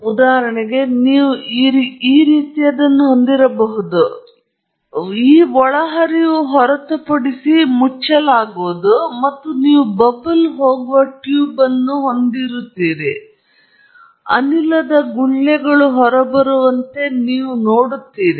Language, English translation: Kannada, So, for example, you may have something like this, this would be then closed except for this inlet, and you will have a tube coming out which will then go to a bubbler, and you will see bubbles of gas coming out